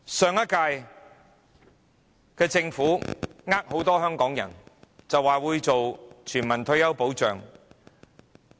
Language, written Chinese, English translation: Cantonese, 上屆政府欺騙很多香港人，說會推行全民退休保障。, The Government of the last term has deceived many Hong Kong people by saying that it would implement universal retirement protection